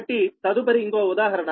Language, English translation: Telugu, so next, another example